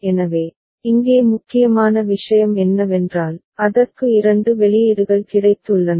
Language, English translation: Tamil, So, what is the other thing important here is that it has got 2 outputs ok